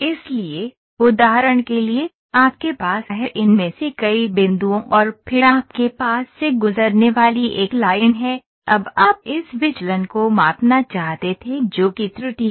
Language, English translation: Hindi, So, for example, you had you have several of these points and then you have a line passing through, now you wanted to measure this deviation which is the error ok